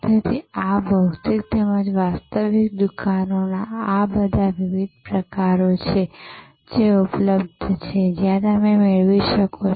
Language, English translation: Gujarati, So, there are all these different types of these physical as well as virtual stores; that are available, where you can acquire